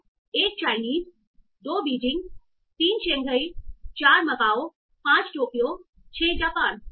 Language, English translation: Hindi, 1, Chinese, Beijing, 2, Shanghai 3, Macau 4, Tokyo 5, Japan 6